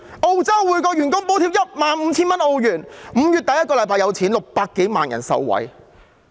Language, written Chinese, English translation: Cantonese, 澳洲每名員工獲補貼 15,000 澳元 ，5 月第一個星期發放 ，600 多萬人受惠。, In Australia a subsidy of A15,000 offered to every worker will be disbursed in the first week of May benefiting some 6 million people